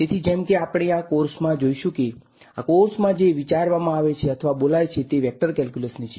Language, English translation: Gujarati, So, as we will find out in this course the whole language in which this course is thought or spoken is the language of Vector Calculus